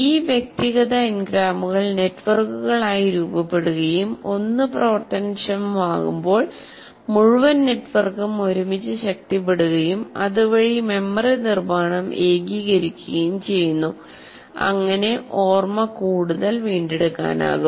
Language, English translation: Malayalam, These individual n grams associate and form networks so that whenever one is triggered, the whole network together is strengthened, thereby consolidating the memory, making it more retrievable